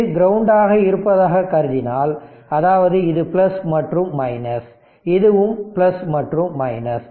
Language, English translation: Tamil, So, that; that means, this is plus minus and this is also plus minus